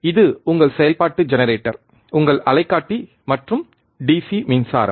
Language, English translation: Tamil, This is your function generator your oscilloscope and DC power supply